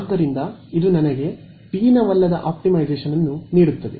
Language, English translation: Kannada, So, this gives me a non convex optimization